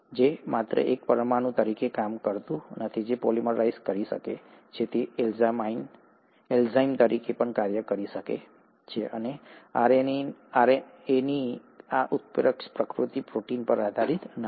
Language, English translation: Gujarati, So, it not only acts as a molecule which can polymerize itself, it also can act as an enzyme, and this catalytic activity of RNA is not dependent on proteins